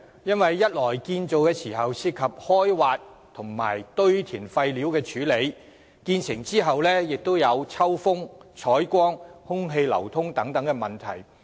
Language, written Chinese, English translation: Cantonese, 因為一方面在建造時涉及開挖和堆填廢料的處理，另一方面亦會在建成後造成抽風、採光、空氣流通等問題。, On the one hand this involves excavation works and disposal of wastes during the construction stage while on the other hand measures have to be taken at a later stage to address problems concerning ventilation lighting and air circulation in underground carparks completed